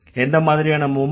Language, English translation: Tamil, What kind of movement